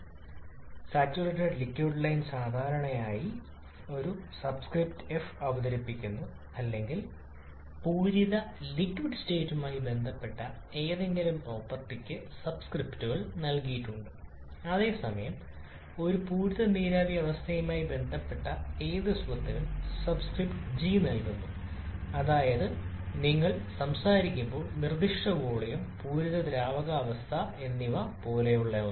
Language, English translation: Malayalam, In thermodynamics the saturated liquid state is generally presented by a subscript a small f or any property associated with the saturated liquid state is given the subscripts small f whereas any property associated with a saturated vapor state is given the subscript small g that is when you are talking about something like specific volume and the saturated liquid state